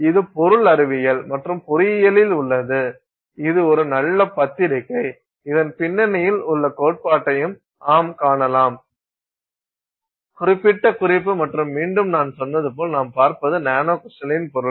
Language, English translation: Tamil, It's in Material Science and engineering A, it's a very good journal and you can also see the theory behind it and so on listed in this particular reference and again as I said it is nanocrystaline material that you are looking at